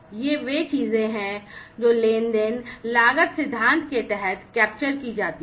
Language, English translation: Hindi, So, these are the things that are captured under the transaction cost theory